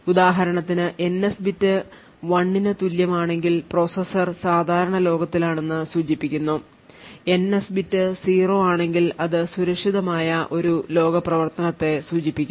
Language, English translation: Malayalam, So, for instance if the NS bit is equal to 1 it indicates that the processor is in the normal world, if the NS bit is set to 0 that would indicate a secure world operation